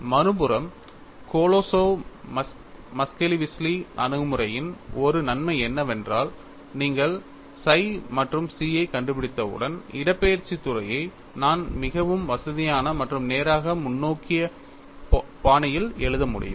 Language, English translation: Tamil, On the other hand, one of the advantages is of Kolosov Muskhelishvili approach is, once you find out psi and chi, I can write the displacement field in a very comfortable and straight forward fashion and how it is written